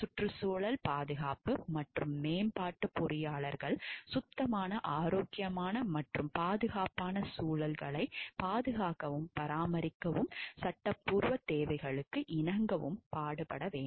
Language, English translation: Tamil, Environment protection and improvement engineers shall strive to protect and maintain clean healthy and safe environments and comply with the statutory requirements